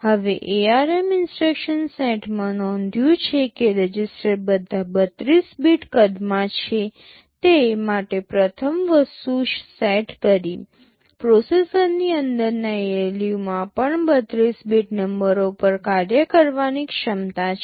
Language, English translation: Gujarati, Now, in the ARM instruction set the first thing to notice that the registers are all 32 bit in size, the ALU inside the processor also has the capability of operating on 32 bit numbers